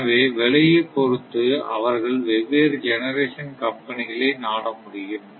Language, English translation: Tamil, So, accordingly they can contact with the different generation companies